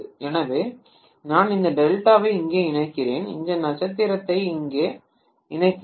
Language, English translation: Tamil, So I am connecting this delta here and I am connecting this star here